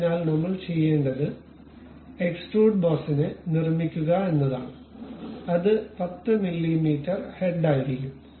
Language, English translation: Malayalam, So, what we will do is construct extruded boss it will be 10 mm head